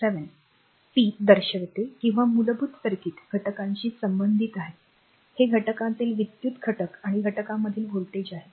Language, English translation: Marathi, 7 shows the power associated with basic circuit elements is simply the product of the current in the element and the voltage across the element